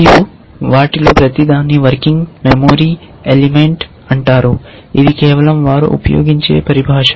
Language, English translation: Telugu, And each of this is called a working memory element, these is just the terminology that they use